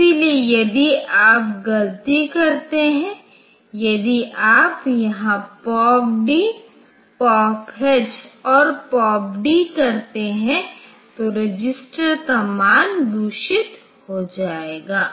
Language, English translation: Hindi, So, if you do it do by mistake if you do here POP D, POP H and POP D then the register values will be corrupted